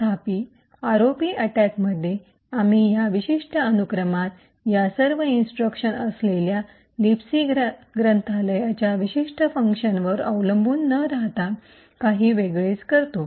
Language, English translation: Marathi, However, in the ROP attack we do things a little bit differently instead of relying on a specific function in the libc library which has all of these instructions in this particular sequence